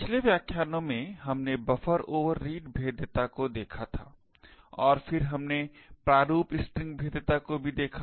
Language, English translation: Hindi, In the previous lectures we had looked at Buffer Overread vulnerabilities and then we also looked at format string vulnerabilities